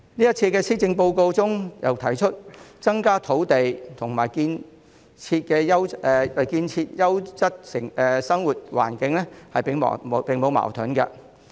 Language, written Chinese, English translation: Cantonese, 主席，這次施政報告又提出，增加土地和建設優質生活環境並無矛盾。, President the Policy Address points out that there is no conflict between increasing land supply and building a quality living environment